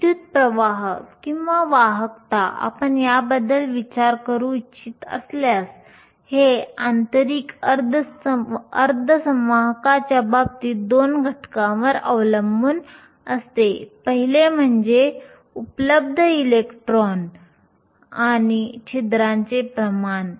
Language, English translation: Marathi, Current or if you want to think about it Conductivity, in the case of an intrinsic semiconductor depends upon two factors; the first one is the concentration of electrons and holes that are available